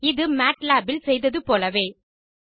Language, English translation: Tamil, This is similar to the one used in matlab